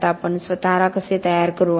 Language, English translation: Marathi, Now how do we prepare ourselves